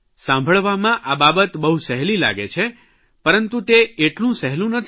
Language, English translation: Gujarati, It sounds very simple, but in reality it is not so